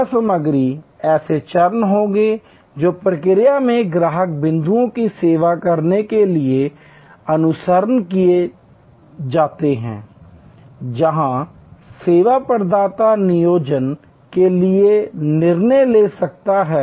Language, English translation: Hindi, Service content will be steps that are followed to serve the customer points in the process, where the service provider employ may have to make decisions